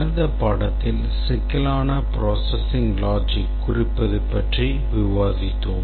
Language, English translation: Tamil, In the last lecture we had, towards the end we were discussing about representing complex processing logic